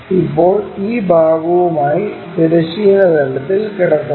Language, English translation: Malayalam, Now, it is lying on horizontal plane with this part